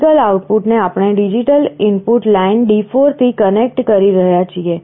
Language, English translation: Gujarati, The optical output we are connecting to digital input line D4